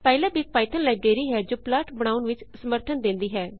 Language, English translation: Punjabi, Pylab is a python library which provides plotting functionality